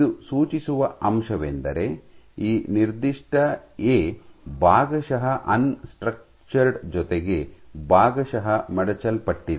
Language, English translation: Kannada, So, what this suggests is this particular A is partly unstructured plus partly folded